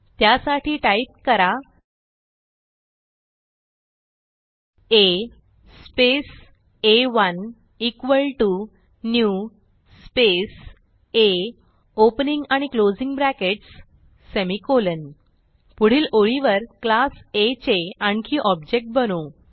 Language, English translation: Marathi, So type A space a1 equal to new space A opening and closing brackets semicolon Next line we will create one more object of class A